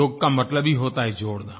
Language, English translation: Hindi, Yoga by itself means adding getting connected